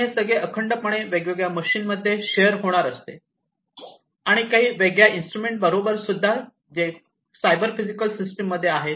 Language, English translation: Marathi, And they are going to be shared, seamlessly between these different machines and machines, and the different other instruments, that are there in the cyber physical system